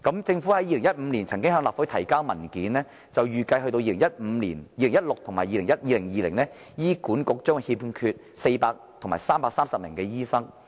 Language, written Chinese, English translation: Cantonese, 政府在2015年曾向立法會提交文件，預計到2016年及2020年，醫管局將欠缺400名及330名醫生。, In a document submitted by the Government to the Legislative Council in 2015 it was estimated that HA would experience a shortfall of 400 and 330 doctors in 2016 and 2020 respectively